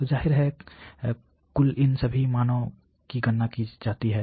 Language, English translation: Hindi, So obviously, the total is calculated here of all these values